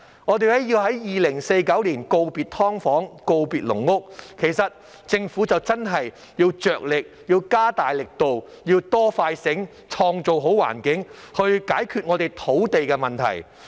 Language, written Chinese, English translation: Cantonese, 我們要在2049年告別"劏房"和"籠屋"，其實政府真的要加大力度，要"多、快、醒"，創造好環境，解決我們的土地問題。, We need to bid farewell to subdivided flats and caged homes by 2049 . In fact the Government should really step up its efforts to build a better environment with greater concern faster response and smarter services with a view to solving our land problem